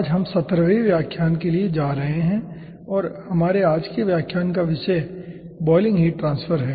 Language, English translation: Hindi, today we will be going for seventeenth lecture and the topic of our lecture today is boiling heat transfer